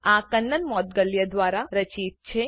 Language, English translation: Gujarati, My name is Kannan Moudgalya